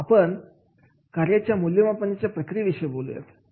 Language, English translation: Marathi, Now we will talk about the process of job evaluation